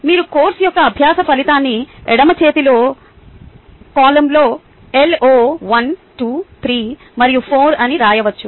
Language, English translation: Telugu, you can write the learning outcome of the course on the left hand column, which is written as lo one, two, three and four